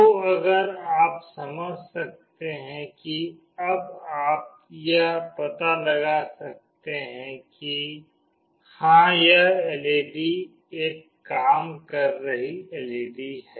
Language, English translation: Hindi, So, if you can understand that now you can make out that yes this LED is a working LED